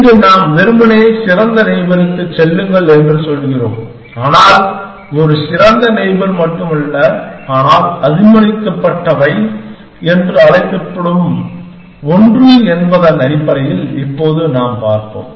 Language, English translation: Tamil, Here, we are simply saying just move to the best neighbor, but not just a best neighbor, but something called allowed essentially, which we will look at now essentially